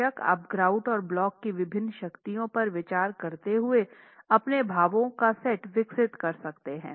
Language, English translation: Hindi, Of course you can develop your set of expressions considering the different strengths of the grout and the block itself